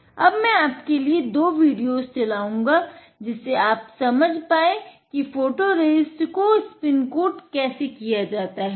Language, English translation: Hindi, Now, let me play two videos for you, so that you understand how to spin coat the photoresist